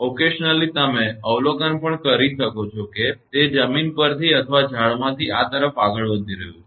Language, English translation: Gujarati, Occasionally, you can observe also it is moving as if from the ground or from the trees to this one